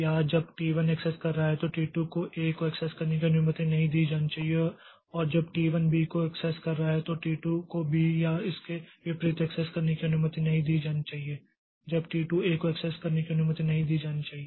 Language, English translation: Hindi, Or when T1 is accessing A, T2 should not be allowed to access A and when T1 is accessing B, T2 should not be allowed to access B or vice versa